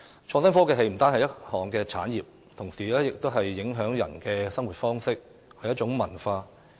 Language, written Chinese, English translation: Cantonese, 創新科技不單是一項產業，同時也影響着人們的生活方式，是一種文化。, Innovation and technology is not only an industry but also a culture that affects peoples way of life